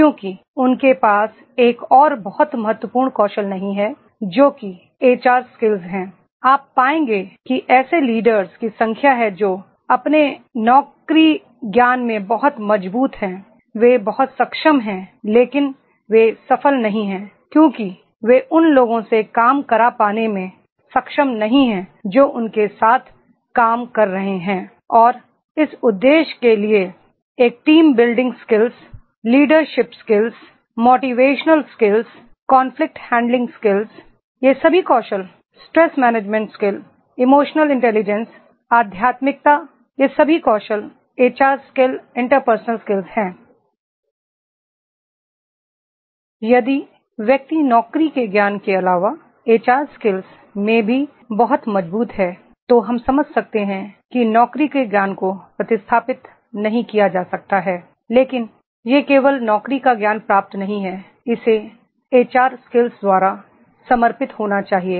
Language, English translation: Hindi, Because they are not having another very important skill that is HR skills, you will find there are the number of leaders those who are very strong in their job knowledge, they are very competent but they are not successful because they are not able to get work done from the people those who are working with them and for this purpose a team building skills, leadership skills, motivational skills, conflict handling skills, all these skills, stress management skills, emotional intelligence, spirituality, all these skills, these are all are the HR skills, interpersonal skills